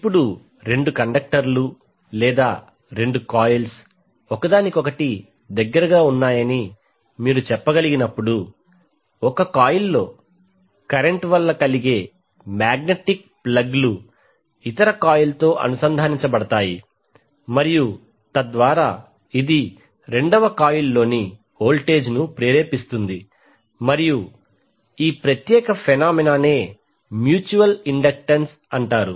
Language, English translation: Telugu, Now when two conductors or you can say when two coils are in a close proximity to each other the magnetics plugs caused by the current in one coil links with the other coil and thereby it induces the voltage in the second coil and this particular phenomena is known as mutual inductance